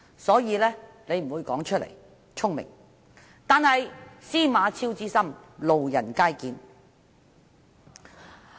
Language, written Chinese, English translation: Cantonese, 因此，他不會說出來，這是聰明的做法，但"司馬昭之心，路人皆見"。, Thus he will not make such remarks which is clever of him but his intentions are apparent to everyone